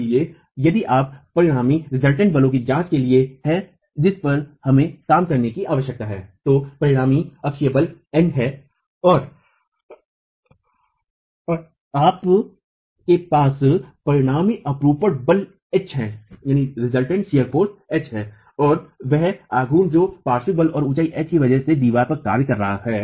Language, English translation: Hindi, So if you were to examine the resultant forces that we need to be working on, you have a resultant axial force in, you have a resultant shear force H and the moment which is acting on the wall because of the lateral force and the height of the wall H